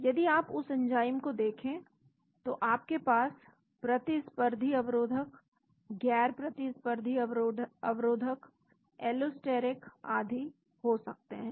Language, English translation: Hindi, If you look at the enzyme you could have a competitive inhibition, non competitive inhibition, allosteric and so on